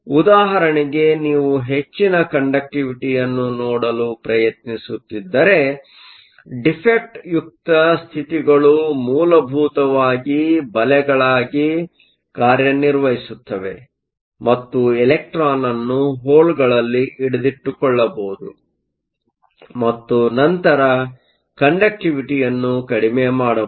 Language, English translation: Kannada, For example, if you are trying to look for higher conductivity then defect states can essentially act as traps and trap electron in holes and then reduce the conductivity, in that case defect case are essentially bad